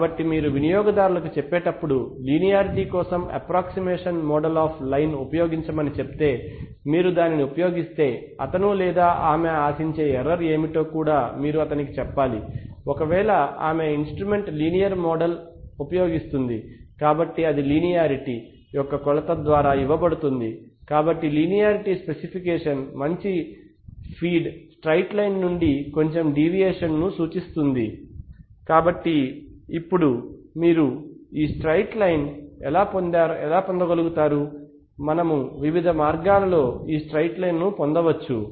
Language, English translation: Telugu, So when you, when you are telling the user to use the approximate model of the line for simplicity, you also have to tell him what is the kind of error that he or she can expect if she uses that, uses the linear model of the instrument, so that is given by the measure of linearity so the linearity specification indicates the deviation of the calibration curve from a good feed straight line, so now, how do we how do you obtain this straight line, we can obtain the straight line in various ways